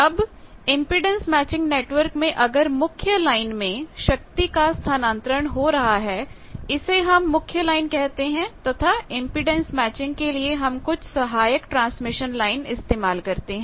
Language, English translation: Hindi, Now, the impedance matching network if there is a power transport going on in the main line that is called main line, and for impedance matching we use some auxiliary transmission lines